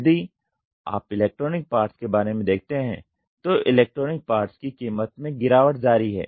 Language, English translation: Hindi, If you look at it electronic parts; electronic parts the price keeps slashing down